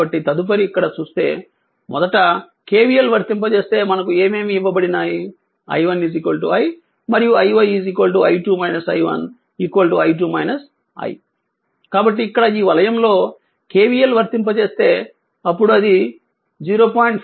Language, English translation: Telugu, So, next that means if you look into this you apply KVL here first in you apply that is whatever given the i 1 is equal to i and i 1 is equal to i 2 minus i 1 is equal to i 2 minus i, so here you apply KVL in this loop right